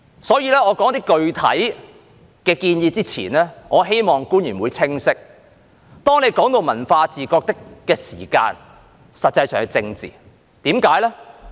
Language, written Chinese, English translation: Cantonese, 在我說出一些具體建議之前，我希望官員會清晰，當談及文化自覺的時候，實際上是政治，為甚麼呢？, Before I make some specific suggestions I hope the officials will be clear that when it comes to cultural awareness it is indeed about politics . Why?